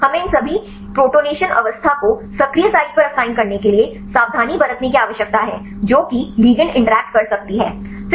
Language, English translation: Hindi, So, we need to be careful to assign all these protonation state at the active site right that is the place where the ligand can interact